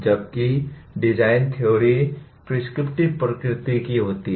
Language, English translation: Hindi, Whereas design theory is prescriptive in nature